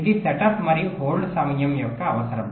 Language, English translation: Telugu, ok, this is the requirement of setup and hold time